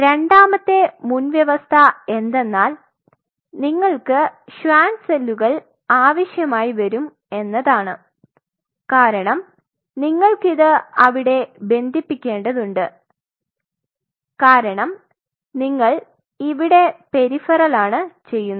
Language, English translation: Malayalam, Second prerequisite is that you have to you will be needing the Schwann cells because you want to mile in it and this are you are doing a peripheral by relation